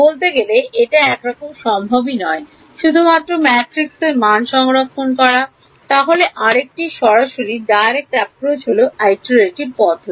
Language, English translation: Bengali, In fact, it may not be even the possible to store the matrix explicitly, then what is the alternative direct approach are iterative methods